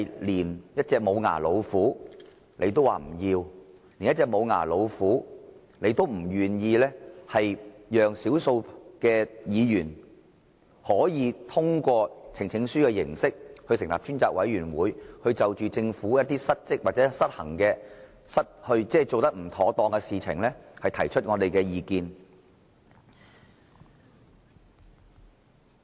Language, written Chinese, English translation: Cantonese, 連一隻無牙老虎也容不下，他們不願意讓少數議員可以通過呈請書的形式成立專責委員會，就着政府一些失職，或者失衡，即做得不妥當的事情，提出我們的意見。, They cannot accommodate even a toothless tiger so much so that they are unwilling to let the minority Members form a select committee by means of a petition to express our opinions on issues involving the Governments dereliction of duty or imbalance actions . I mean improper actions